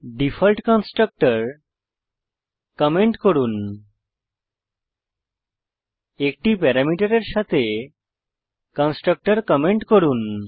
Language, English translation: Bengali, Comment the default constructor comment the constructor with 1 parameter